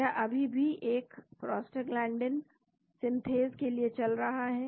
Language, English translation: Hindi, It is still running for a Prostaglandin synthase